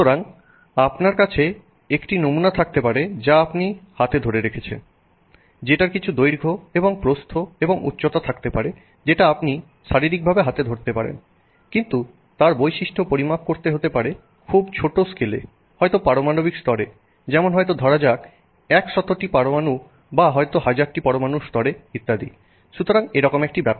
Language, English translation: Bengali, So, you may have a sample that you are holding in your hand which could have some, you know, length and width and height which you can physically hold in your hand, but the property of measuring is happening at a much, much, much smaller scale, maybe at the atomic level, maybe at the level of, say, hundreds of atoms, maybe at the level of thousands of atoms or some such thing